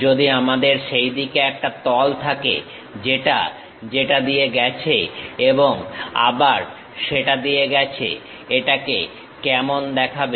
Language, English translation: Bengali, If I am having a plane in that way, pass through that and again pass through that; how it looks like